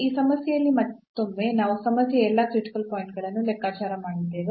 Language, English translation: Kannada, So, in this problem again to conclude that we have computed all the critical points of the problem